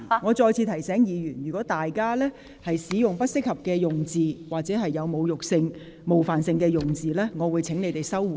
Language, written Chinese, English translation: Cantonese, 我再次提醒各位，如果有議員使用具冒犯性及侮辱性或不適宜在議會使用的言詞，我會請有關議員收回。, I remind all Members again that if Members use offensive and insulting language or unparliamentary expressions I will ask the Members concerned to withdraw such remarks